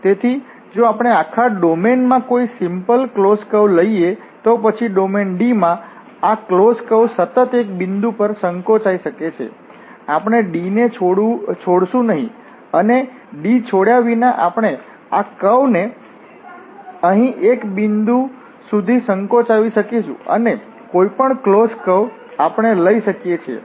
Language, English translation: Gujarati, So, if we take any simple closed curve in the whole domain, then this closed curve can be continuously shrunk to a point without or while remaining in D, we will not leave D and without leaving D we can shrink this curve to a point here and any curve we can take any closed curve we can take, we can shrink this curve to a point without leaving the domain D